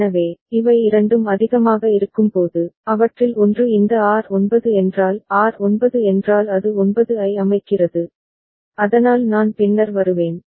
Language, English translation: Tamil, So, when both of them are high ok, if one of them this R9; R9 means it is setting 9, so that I will come later